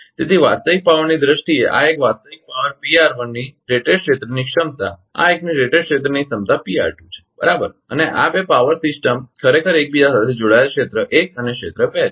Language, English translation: Gujarati, So, a rated area capacity of this one real power in terms of the real power P r 1 an area rated capacity of this one is P r 2 right and these two power system actually are interconnected equal area one and area two